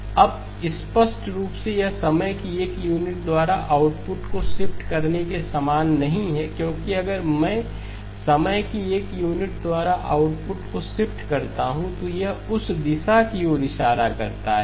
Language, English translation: Hindi, Now clearly that is not the same as shifting the output by one unit of time because if I shifted the output by one unit of time, it would point to that direction